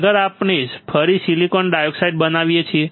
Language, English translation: Gujarati, Next is we again grow silicon dioxide